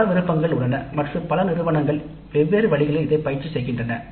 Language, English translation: Tamil, Several options do exist and several institutes practice this in different ways